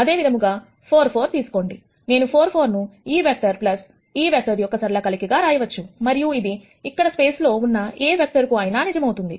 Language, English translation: Telugu, Similarly, take 4 4, I can write 4 4 as a linear combination of this vector plus this vector and that would be true for any vector that you have in this space